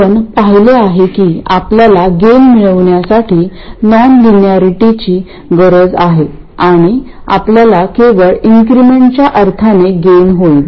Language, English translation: Marathi, We have seen that we need non linearity to get gain and we will get gain only in the incremental sense